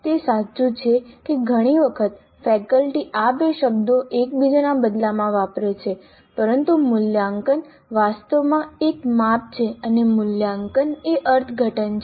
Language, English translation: Gujarati, It is true that quite often faculty use these two terms interchangeably, but assessment is actually a measure and evaluation is an interpretation